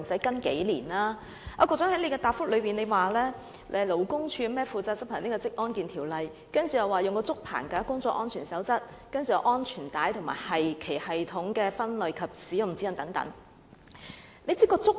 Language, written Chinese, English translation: Cantonese, 局長在主體答覆指出，勞工處負責執行《職業安全及健康條例》、《竹棚架工作安全守則》、《安全帶及其繫穩系統的分類與使用指引》等。, The Secretary says in the main reply that the Labour Department is responsible for enforcing various codes of practice and guidelines including the CoP for Bamboo Scaffolding Safety CoP for Safe Use and Operation of SWPs Guidance Notes on Classification and Use of Safety Belts and their Anchorage Systems and so on